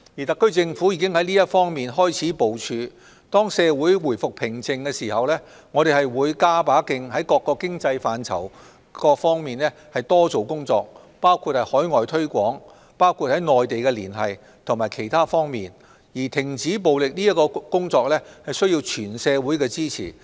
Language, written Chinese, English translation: Cantonese, 特區政府已開始在這方面進行部署，當社會回復平靜，我們便會加把勁在各個經濟範疇多做工作，包括海外推廣、內地連繫及其他方面，至於停止暴力的工作，則需要得到全社會支持。, The SAR Government has started doing planning in this area . When peace is restored in society we will make an extra effort to do work on different economic fronts including overseas promotion Mainland liaison etc . As for the work on stopping violence we need the support of whole society